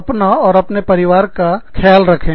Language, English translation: Hindi, Please, look after yourselves and your families